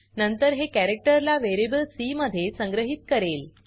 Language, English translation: Marathi, Then it will store the characters in variable c